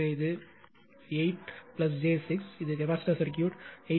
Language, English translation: Tamil, And this is your capacitive circuit 8